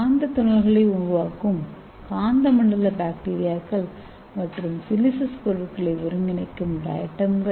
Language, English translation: Tamil, So these are magnetotactic bacteria producing magnetic nanoparticles and also diatoms synthesize siliceous materials